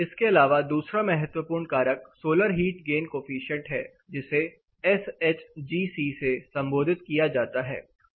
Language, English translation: Hindi, Apart from this, another important factor is the solar heat gain coefficient that is commonly referred as SHGC